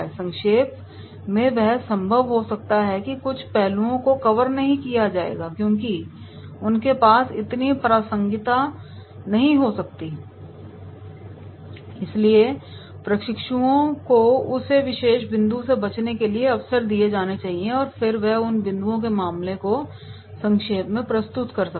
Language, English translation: Hindi, In summarising it might be possible that some of the aspects will not be covered because they may not have that much relevance, so trainees should be given opportunities to avoid that particular points and then he can summarise the case without those points